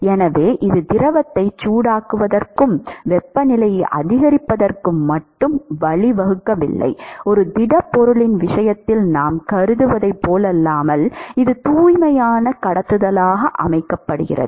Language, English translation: Tamil, So, it is not only leading to just heating the fluid and increasing the temperature, unlike what we considered for a case of a solid, where it is pure conduction here the temp the fluid is also moving